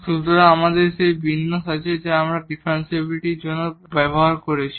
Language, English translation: Bengali, So, we have that format which we have used for the differentiability